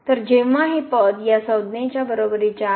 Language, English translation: Marathi, So, this term is equal to this term